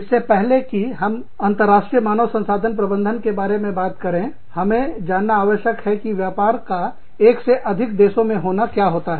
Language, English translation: Hindi, Before, we talk about, international human resource management, we need to know, what it means to have a business, in more than one country